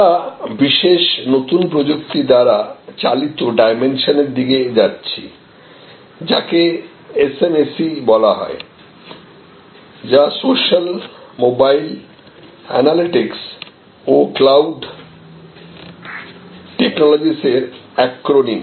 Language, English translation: Bengali, We are moving to this particular new technology enabled dimension, which is often called SMAC it is the acronym for social, mobile, analytics and cloud technologies